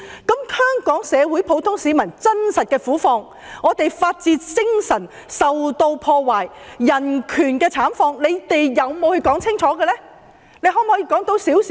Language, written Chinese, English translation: Cantonese, 至於香港社會上普通市民的真實苦況，以及香港的法治精神和人權受破壞等慘況，他們有否清楚闡述？, As to the actual predicament of the general public in our society and such awful damage to Hong Kongs rule of law and human rights did they give a clear account?